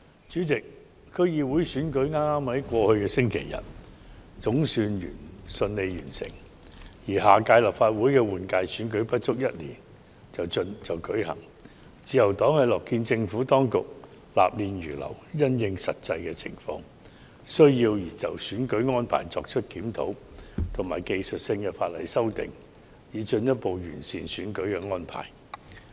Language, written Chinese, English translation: Cantonese, 主席，區議會選舉在剛過去的星期日總算順利完成，而下屆立法會換屆選舉不足一年後便會舉行，自由黨樂見政府當局納諫如流，因應實際情況及需要，就選舉安排對法例作出檢討及技術性修訂，進一步完善選舉安排。, President the District Council DC Election was on the whole conducted smoothly last Sunday and the next Legislative Council General Election will be held within one year . The Liberal Party hopes that the authorities will be more open to good advice and further improve its electoral arrangements by reviewing the relevant legislation and introducing technical amendments in view of the actual circumstances and needs